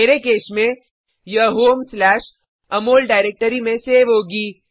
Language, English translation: Hindi, In my case, it will get saved in home/amol directory